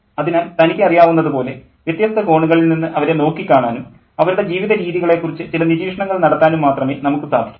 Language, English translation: Malayalam, So we can only look at different angles, you know, and make certain observations about their lifestyles